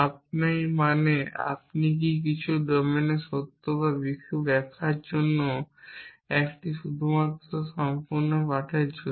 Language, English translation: Bengali, You means can you is it true in some domain and some interpretation it is just to for the sake of complete lesson